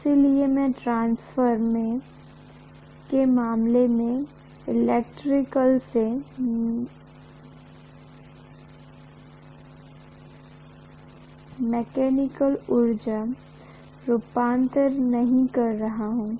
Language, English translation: Hindi, So I am not doing electrical to mechanical energy conversion in the transformer case